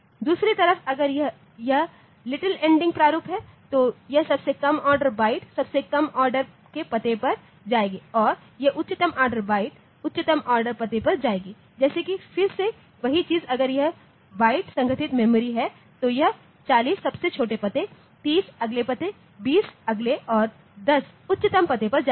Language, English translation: Hindi, On the other hand if it is little endian format then this lowest order byte will go to the lowest order address and this highest order byte will go to the highest order address like again the same thing if it is byte organised memory then this 4 0 will go to the lowest address 3 0 to the next one, 2 0 to the next one, and 1 0 to the highest address